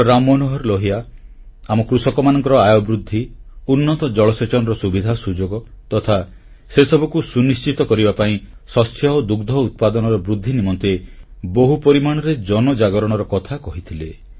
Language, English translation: Odia, Ram Manohar Lal ji had talked of creating a mass awakening on an extensive scale about the necessary measures to ensure a better income for our farmers and provide better irrigation facilities and to increase food and milk production